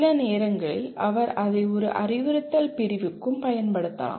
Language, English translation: Tamil, Sometimes he can also apply it to an instructional unit